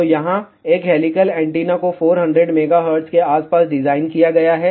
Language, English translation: Hindi, So, here one helical antenna has been designed around 400 megahertz